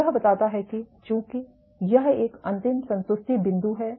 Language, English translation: Hindi, So, this suggested so, since this final saturation point the saturation point